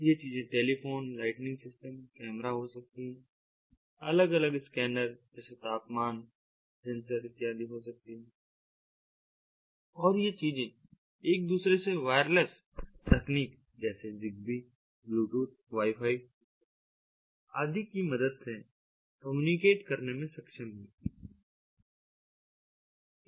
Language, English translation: Hindi, these things could be telephones, ah lightning systems, ah could be cameras, could be different other scanner sensors like ah the temperature sensor, and so on, and these things are able to communicate with one another with the help of wireless technologies like zigbee, bluetooth, wifi and so on